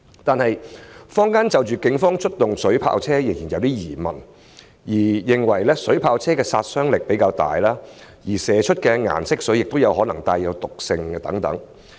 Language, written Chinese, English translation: Cantonese, 然而，坊間就警方出動水炮車仍然存有疑問，認為水炮車的殺傷力比較大，而射出的顏色水亦可能帶有毒性等。, Nevertheless members of the public still have doubts about the use of water cannon vehicles by the Police . They think that the lethality of SCMVs is rather high and the colourant sprayed may be toxic etc